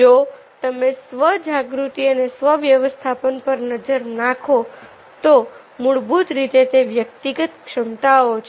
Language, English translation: Gujarati, if you look at the self awareness and self management, basically these are the personal competency